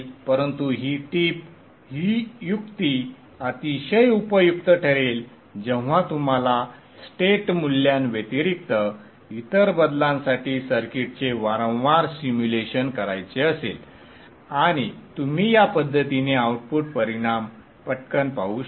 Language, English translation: Marathi, But this trick would be very useful when you want to do repeated simulation of the circuit for changes other than the state values and you can quickly see the output results in this fashion